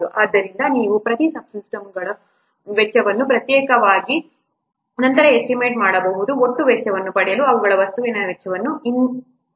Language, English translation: Kannada, So you have to estimate the cost of each subsystem separately, individually, then the cost of the subsystems they are added to obtain the total cost